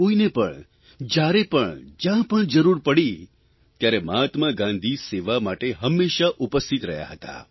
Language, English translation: Gujarati, Whoever, needed him, and wherever, Gandhiji was present to serve